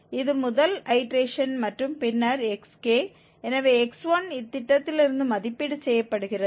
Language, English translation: Tamil, This is the first iteration and then xk, so x1 is evaluated from this scheme